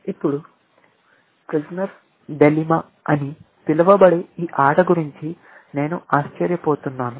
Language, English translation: Telugu, Now, I wonder if we have heard about this game called Prisoner's Dilemma